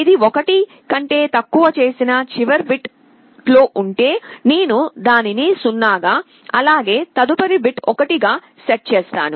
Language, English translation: Telugu, If it is less than, in the last bit which I had made 1, I make it 0 and the next bit I set to 1